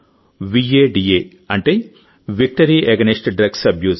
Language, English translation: Telugu, VADA means Victory Against Drug Abuse